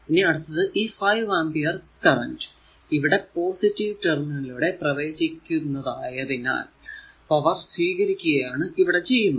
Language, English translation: Malayalam, So, next is this 5 ampere, this 5 ampere current entering to the positive terminal right; that means, as I entering into the positive terminal means it is power absorbed